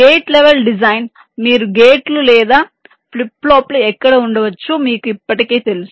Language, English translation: Telugu, gate level design: you already know where you can have gates or flip flops